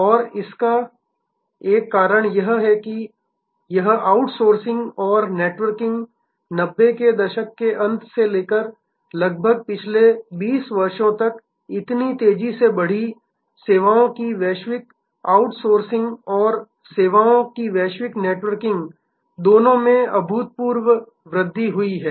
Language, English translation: Hindi, And one of the reasons why this outsourcing and networking grew so rapidly from the end of 90’s till today for the last almost 20 years, the global outsourcing of services and global networking of services have both seen phenomenal growth